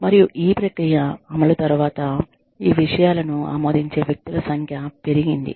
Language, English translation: Telugu, And, after the implementation of this process, the number of people, who are approving things, has increased